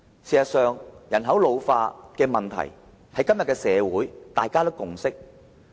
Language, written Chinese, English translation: Cantonese, 事實上，人口老化的問題，在今天的社會上已有共識。, In fact on the problem of ageing population a consensus has been reached in society nowadays